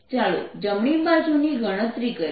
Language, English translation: Gujarati, let's calculate the right hand side